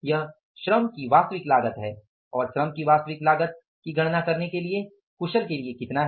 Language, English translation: Hindi, That is the actual cost of the labor and for calculating the actual cost of the labor skilled one is how much